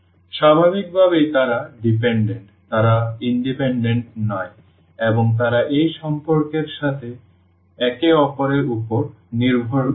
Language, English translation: Bengali, So, naturally they are dependent, they are not independent and they depend on each other with this relation